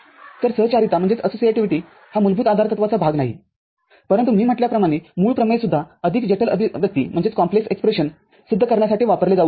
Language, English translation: Marathi, So, associativity is not part of basic postulate, but as I said the basic theorem can be also used for proving a more complex expression